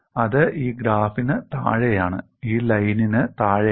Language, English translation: Malayalam, That is below this graph, below this line